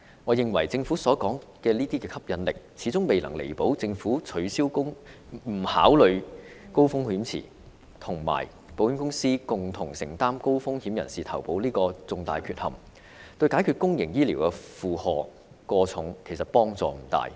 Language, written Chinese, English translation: Cantonese, 我認為政府所說的"吸引力"，始終未能彌補政府取消高風險池的這個重大缺陷，自願醫保對解決公營醫療體系負荷過重的問題因而幫助不大。, In my view these appeals as depicted by the Government cannot make up the significant defects caused by the removal of a High Risk Pool an initiative under which the Government and insurance companies will share the risks of accepting high - risk policies . Therefore VHIS will not be an effective solution to the problem of overloading in the public health care system